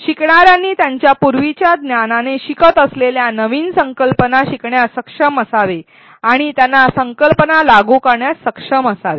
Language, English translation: Marathi, Learner should be able to relate new concepts that they are learning with their prior knowledge and they should be able to apply concepts